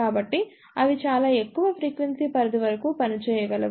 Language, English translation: Telugu, So, they can operate up to very high frequency range